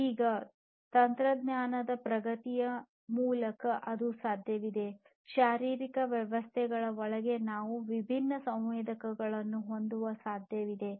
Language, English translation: Kannada, Now, it is possible that through the advancement in technology, it is possible that we can have different, different sensors inside the physiological systems